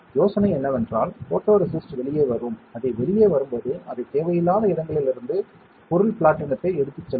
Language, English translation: Tamil, The idea is the photoresist will come out by and while it comes out it will take away the material platinum from places where it is not required